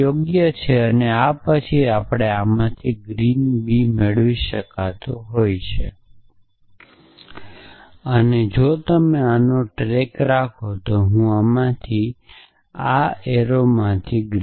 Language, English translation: Gujarati, So, is that correct know and then from this and this I can get not green b and from this one and this one if you can keep track of arrows I can get green b and from this and this